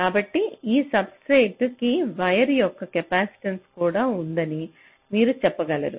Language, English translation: Telugu, so you can say that there is also a capacitance of this wire to this substrate